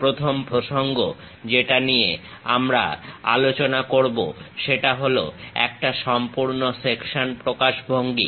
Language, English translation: Bengali, The first topic what we cover is a full section representation